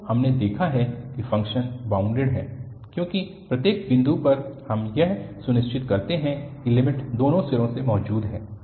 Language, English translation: Hindi, So, what we have noticed that the function is bounded, because at each point we make sure that the limit exist from both the ends